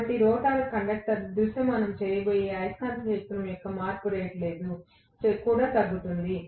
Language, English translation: Telugu, So, obviously the rate of change of the magnetic field that the rotor conductor is going to visualize will also decline